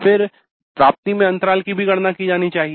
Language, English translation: Hindi, Then the gap in the attainment should also be computed